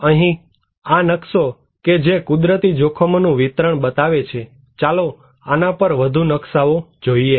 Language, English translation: Gujarati, Here, the map that showing the distribution of natural hazards let us look more maps on these